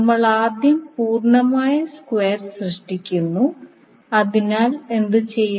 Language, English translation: Malayalam, We first create the complete square, so to do that what we will do